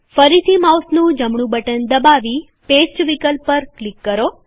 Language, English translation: Gujarati, Again right click on the mouse and click on the Paste option